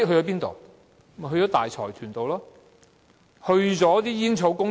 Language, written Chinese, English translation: Cantonese, 便是大財團和煙草公司。, To large consortia and tobacco companies